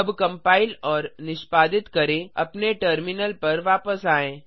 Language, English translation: Hindi, Let us compile and execute come back to our terminal